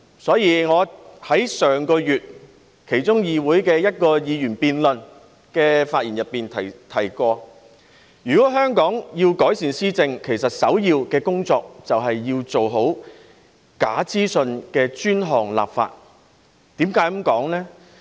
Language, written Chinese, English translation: Cantonese, 所以，本月初我在議會其中一項議員議案辯論的發言中提到，如果香港要改善施政，首要工作便是做好有關假資訊的專項立法。, Tests are conducted slower than others . Among such cases the greatest impact comes from false information . Therefore in my speech during one of the Members motion debates in the Council early this month I mentioned that to improve governance in Hong Kong the top priority task was to enact dedicated legislation on false information